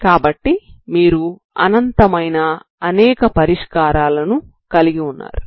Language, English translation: Telugu, So you have infinite there are many solutions, okay